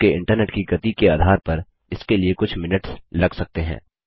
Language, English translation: Hindi, This could take a few minutes depending on your Internet speed